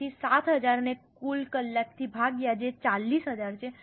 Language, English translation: Gujarati, So, 7,000 divided by the total hours that is 40,000